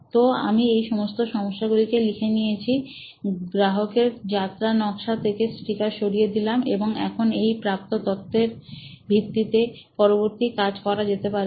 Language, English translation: Bengali, So, I noted all these problems down, pulled out these sticker from our customer journey map and now you can use this as insights that you want to work on